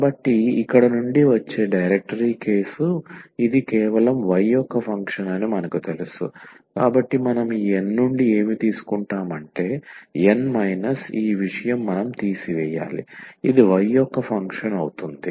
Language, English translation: Telugu, So, the directory case which comes exactly from here itself that we know that this is a function of y alone, so what we take from this N because N minus this something we have to remove it so that this becomes a function of y alone